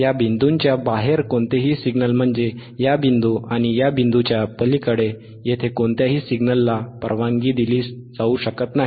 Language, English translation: Marathi, aAny signal outside these points means withbeyond this point, and this point, no signal here can be allowed